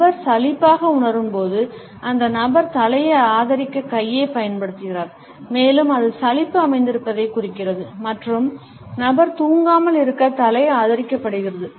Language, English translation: Tamil, When the person feels bored, then the person uses the hand to support the head and it signals that the boredom has set in and the head is being supported so that the person does not fall down asleep